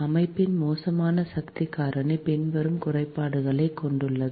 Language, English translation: Tamil, the poor power factor of the system has the following disadvantages